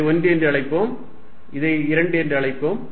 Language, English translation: Tamil, Let us call this 1, let us call this 2